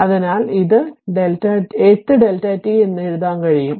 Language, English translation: Malayalam, So, it is you can write this 8 delta t